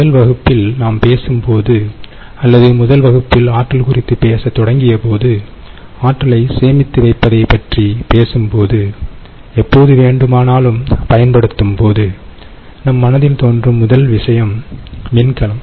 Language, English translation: Tamil, so, in the first class, when we talk, or first class on energy storage, when we started talking about it, we mentioned that the first thing that comes to our mind when we talk about storing energy and using it elsewhere whenever required, the first thing that comes to our mind is battery